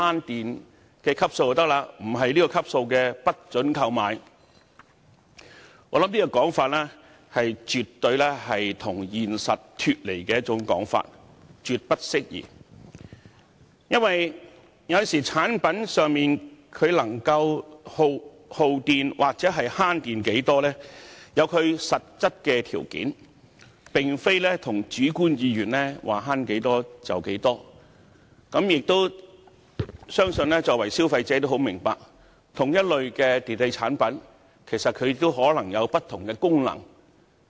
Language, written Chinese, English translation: Cantonese, 我認為這種說法絕對是脫離現實，絕不適宜。因為產品的耗電量或節能情況，受實質條件限制，並非按議員主觀意願決定省電量，我相信消費者十分明白這點，因同一類電器產品可能有不同的功能。, I think this view is absolutely unrealistic and utterly inappropriate because the energy consumption or energy efficiency of the products is subject to the actual conditions and it is not the case that their energy savings can be determined according to Members subjective wish . I trust that consumers understand this point very well because even electrical appliances of the same type may have different functions